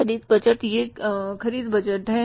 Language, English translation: Hindi, This is the purchase budget